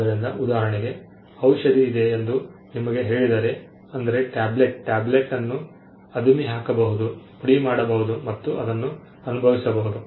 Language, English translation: Kannada, So, for instance if I tell you that there is a medicine a tablet, then you can see the tablet perceive the tablet probably crush it, powder it, and it is something that can be felt